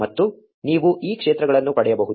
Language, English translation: Kannada, And you can get these fields